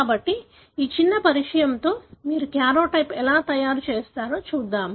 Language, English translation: Telugu, So, with this little introduction, let us look into how do you make karyotype